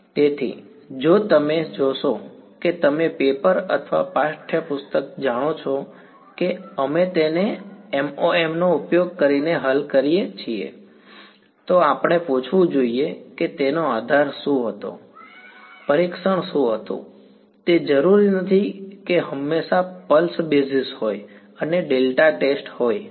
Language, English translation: Gujarati, So, if you see you know a paper or text book saying we solve it using MoM, we should ask what was the basis, what was the testing it is not necessary that is always pulse basis and delta test ok